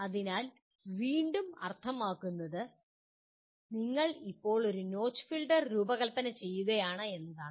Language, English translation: Malayalam, So again that means you are now designing a notch filter